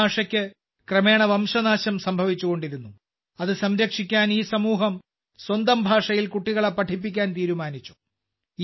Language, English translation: Malayalam, This language was gradually becoming extinct; to save it, this community has decided to educate children in their own language